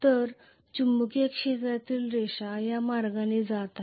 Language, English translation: Marathi, So I am going to have the magnetic field lines going like this right